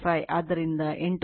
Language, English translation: Kannada, 5 so, 8